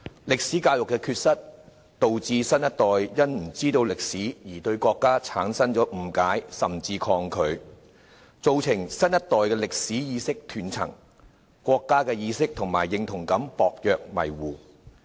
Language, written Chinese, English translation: Cantonese, 歷史教育的缺失，導致新一代對歷史不了解，因而對國家產生誤解，甚至抗拒，造成新一代的歷史意識斷層，國家意識及認同感薄弱模糊。, The shortcomings of history education render the new generation unable to understand history resulting in misunderstanding of and even resistance towards the country . The new generation suffers a gap in their historical awareness; their sense of national awareness and identity is weak and blurred